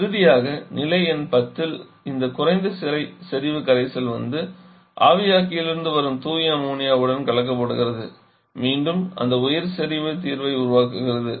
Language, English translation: Tamil, And finally back to your observer, which state number 10 where this low concentration solution is coming and getting mixed with pure ammonia coming from the evaporator again to form that high concentration solution